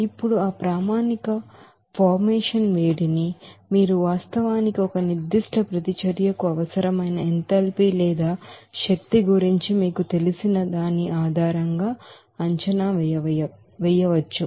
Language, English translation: Telugu, Now this standard heat of formation you can actually estimate based on the you know enthalpy or energy required for a particular reaction